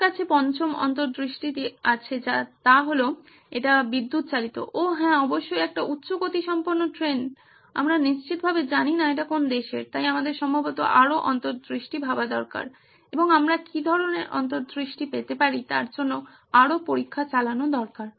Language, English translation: Bengali, The fifth insight that I have for you is it runs on electricity, oh yeah definitely a high speed train, we do not know for sure which country it is probably, so we need probably to run more insights and more tests to see what kind of insights can we get